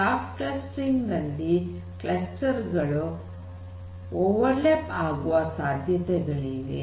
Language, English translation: Kannada, Soft clustering on the other hand may have overlaps of clusters